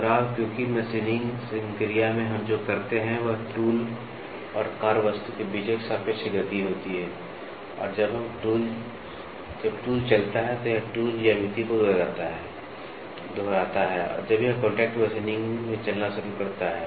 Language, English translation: Hindi, Repetitive because, in machining operation what we do there is a relative motion between tool and the workpiece and as when the tool moves, it is repeating the tool geometry when it starts moving in the contact machining